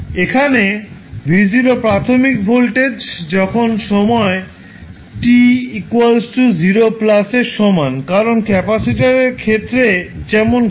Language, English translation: Bengali, Here, v naught is the initial voltage at time t is equal to 0 plus because what happens in the case of capacitor